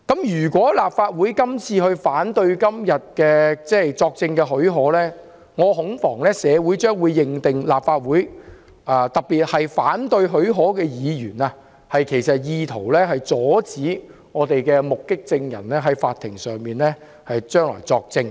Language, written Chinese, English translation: Cantonese, 如果立法會今天反對給予許可，我恐怕社會將會認定立法會，特別是反對給予許可的議員，意圖阻止目擊證人日後在法院作證。, If the Legislative Council opposes the granting of leave today I am afraid society will come to the conclusion that the Legislative Council especially the Members opposing the granting of leave intends to stop eye - witnesses from testifying in court in future